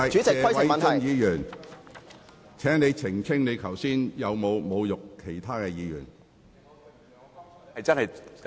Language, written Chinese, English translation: Cantonese, 謝偉俊議員，請澄清你剛才有否侮辱其他議員。, Mr Paul TSE please clarify whether you insulted another Member just now